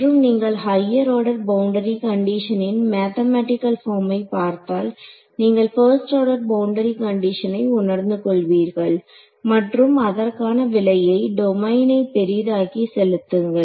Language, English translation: Tamil, And when you look at the mathematical form of higher order boundary conditions you will realize let us stick to 1st order boundary conditions and pay the price by making my domain a little bit larger ok